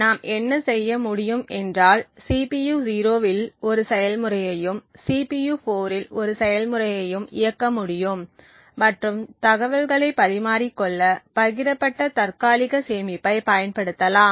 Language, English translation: Tamil, What we would be able to do is we could run one process in the CPU 0 and one process in CPU 4 and make use of the shared cache to exchange information